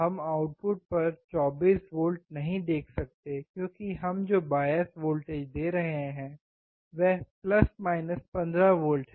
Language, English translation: Hindi, We cannot see 24V at the output because the bias voltage that we are giving is + 15